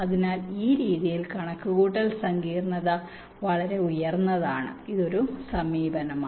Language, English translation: Malayalam, so the computation complexity is pretty high in this method